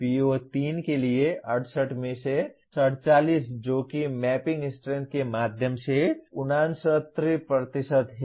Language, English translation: Hindi, For PO3, 47 out of 68 that is 69% through mapping strength is 3